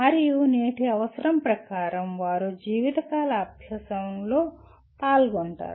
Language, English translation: Telugu, And as present day requires they are involved in lifelong learning